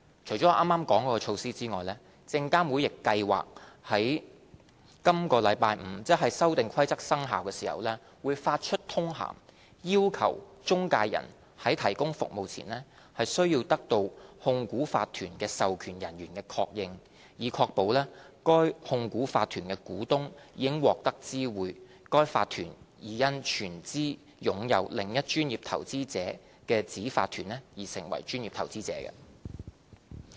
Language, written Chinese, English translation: Cantonese, 除剛才所述的措施外，證監會亦計劃於本周五，即《修訂規則》生效時，發出通函，要求中介人在提供服務前，需得到控股法團的授權人員的確認，以確保該控股法團的股東已獲得知會該法團已因全資擁有另一專業投資者子法團而成為專業投資者。, Apart from the measures mentioned above SFC will also issue a circular when the Amendment Rules become effective on Friday . Prior to providing services intermediaries will be required to obtain confirmation from authorized persons of a holding corporation that the corporation has informed the shareholders of its corporate PI status by virtue of the PI status of its wholly - owned subsidiary